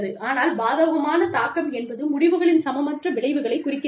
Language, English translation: Tamil, Adverse impact is, refers to the unequal consequences of results